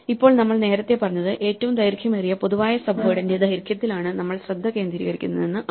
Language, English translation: Malayalam, And now we said earlier that we are focusing on the length of the longest common subword not the word itself in the reason